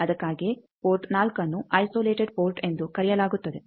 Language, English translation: Kannada, That is why port 4 is called isolated port